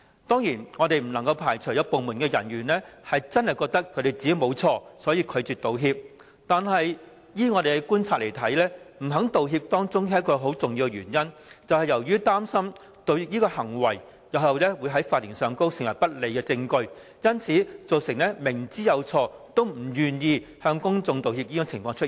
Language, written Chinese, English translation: Cantonese, 當然，我們不能排除有部門人員真的認為自己沒有犯錯，所以拒絕道歉，但依我們觀察，不願意道歉有一個重要原因，就是擔心道歉行為日後會在法庭上成為不利證據，因而造成明知有錯也不願意向公眾道歉的情況。, We cannot rule out the possibility that some departmental staff may refuse to apologize because they really believe that they have done nothing wrong . But we also observe that one major reason for their reluctance to apologize actually stems from their worry that any acts of apology may be used as evidence against them in court in the future . Hence they are unwilling to apologize to the public even though they know perfectly well that they are in the wrong